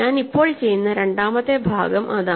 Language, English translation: Malayalam, So, the second part that I will do now is that